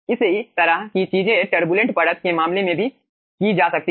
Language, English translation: Hindi, okay, similar thing can be also done in case of turbulent layer